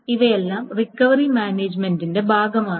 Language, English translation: Malayalam, So, essentially, these are all form part of recovery management